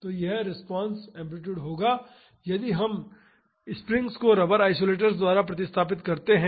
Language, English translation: Hindi, So, this would be the response amplitude, if we replace the springs by rubber isolators